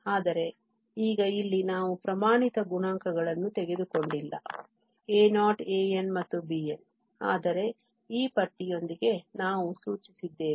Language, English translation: Kannada, But now here we have taken not the standard coefficients a naught and an and bn but with this bar we have denoted